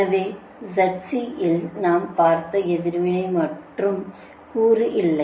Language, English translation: Tamil, so the z c has no reactive component